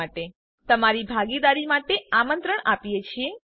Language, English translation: Gujarati, We invite your participation in all our activities